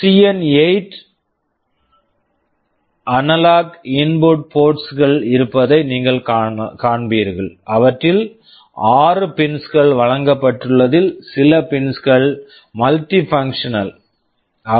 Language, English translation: Tamil, In CN8 you will see there are the analog input ports, six of them are provided some of the pins are multifunctional